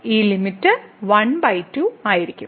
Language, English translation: Malayalam, So, this limit will be just half